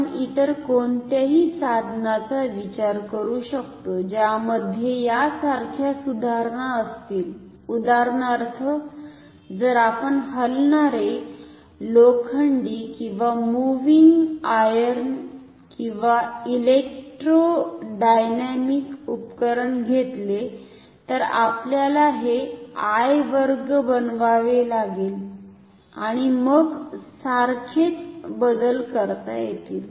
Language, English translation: Marathi, We can consider any other instrument we will have similar modifications say for example, if you take moving iron or electro dynamic instrument, we have to make this I square and similar modifications can be done, but the basic idea will remain same ok